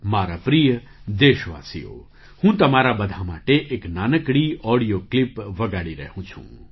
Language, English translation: Gujarati, My dear countrymen, I am playing a small audio clip for all of you